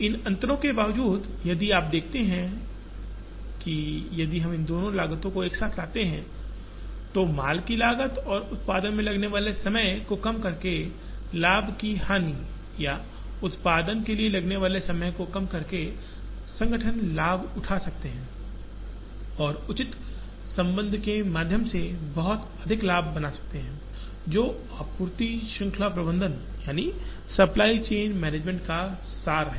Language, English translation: Hindi, In spite of these differences, if you see that if we bring these two costs together, the cost of inventory and the loss of profit by delaying the time taken to produce or the gain by reducing the time taken to produce, organizations can benefit and make a lot of profit through proper relationship, which is the essence of supply chain management